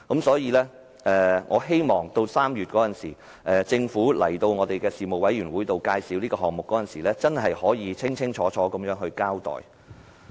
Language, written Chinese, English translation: Cantonese, 所以，我希望政府在3月出席事務委員會會議介紹這個項目時，能夠作出清楚交代。, Hence I hope that when the Government briefs us on this project at the relevant panel meeting in March it can explain the project in detail